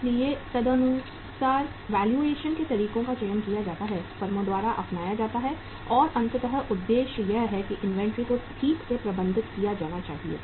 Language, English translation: Hindi, So accordingly the valuation methods are selected, adopted by the firms and ultimately the objective is that the inventory should be properly managed